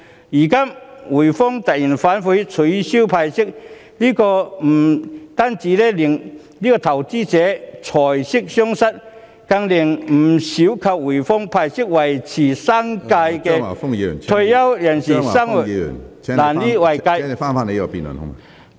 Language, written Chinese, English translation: Cantonese, 如今滙豐銀行突然反悔，取消派息，不單令投資者財息雙失，更令不少依靠滙豐銀行派息維持生計的退休人士生活無以為繼......, Given that HSBC has suddenly reneged on its promise and cancelled the dividend payment investors will suffer double losses in respect of capital and dividend and many retired persons who live on HSBC dividend may lost their means of living